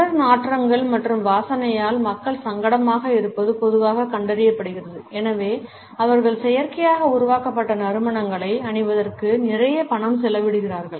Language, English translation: Tamil, It is normally found that people are uncomfortable with body odors and smells and therefore, they spend a lot of money on wearing artificially created scents